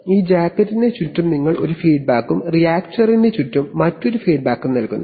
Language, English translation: Malayalam, And we are giving a feedback around this jacket and again another feedback around the reactor